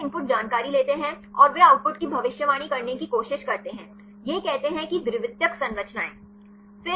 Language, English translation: Hindi, Here they take the input information and they try to predict the output; that says secondary structures